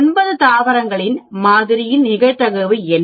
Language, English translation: Tamil, What is the probability in a sample of nine plants